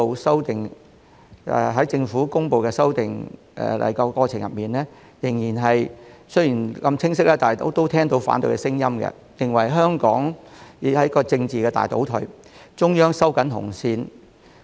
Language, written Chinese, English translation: Cantonese, 雖然政府公布修例的過程如此清晰，但卻仍聽到反對聲音，認為這是"香港政治大倒退"、"中央收緊紅線"。, Despite the Governments clear announcement of the legislative amendment procedure I can still hear voices of opposition describing the exercise as a big regression in terms of politics in Hong Kong and the tightening of the red line by the Central Authorities